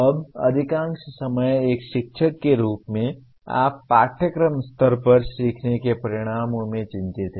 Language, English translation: Hindi, Now, most of the time as a teacher, you are concerned with learning outcomes at the course level